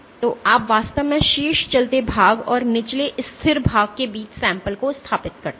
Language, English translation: Hindi, So, you actually position the sample between the top moving part and the bottom stationary part